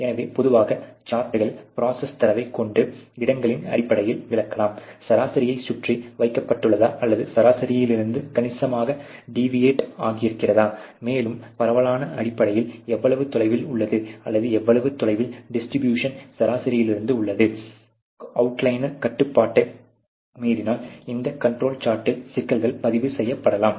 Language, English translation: Tamil, So, typically the charts can explain the process data in terms of both location, in terms of the average whether it is placed around the mean or it is significant deviated from the mean, and also the spread you know the spread is basically how away or how faraway is the whole distribute from the mean, is it having outlier is going to much out of control those kind of issues can be recorded in this control charts